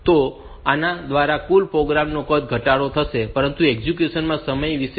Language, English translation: Gujarati, So, the total program size will be reduced, but what about the execution time